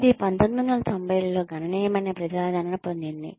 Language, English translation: Telugu, It came substantial popularity in the 1990